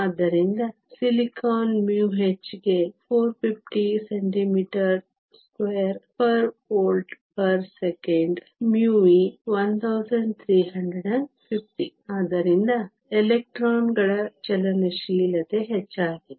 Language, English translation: Kannada, So, for silicon mu h is 450 centimeter square per volt per second; mu e is 1350, so the mobility of the electrons is higher